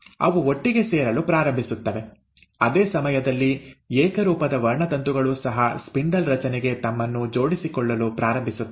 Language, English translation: Kannada, They they start coming together, at the same time, they also, the homologous chromosomes start attaching themselves to the spindle formation